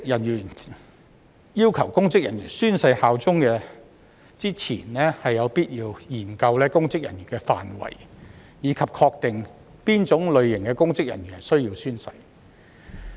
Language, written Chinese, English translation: Cantonese, 在要求公職人員宣誓效忠前，有必要研究公職人員的範圍，以及確定何種類型的公職人員需要宣誓。, Before requiring public officers to swear allegiance it is necessary to study the scope of public officers and determine the types of public officers who are required to take an oath